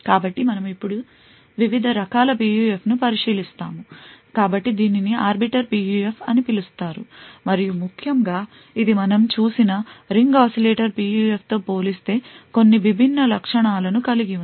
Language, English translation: Telugu, So, we will now look at different kind of PUF so this is known as Arbiter PUF and essentially this has certain different properties compared to the Ring Oscillator PUF that we have seen